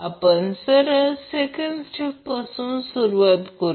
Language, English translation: Marathi, We can straight away start from second step